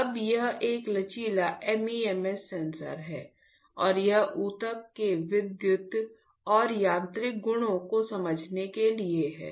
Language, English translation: Hindi, Now, this is a flexible MEMS sensor and this is to understand the electrical and mechanical, electrical and mechanical properties of tissue